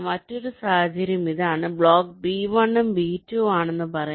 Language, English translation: Malayalam, the other scenario is: let say this is the block b one and b two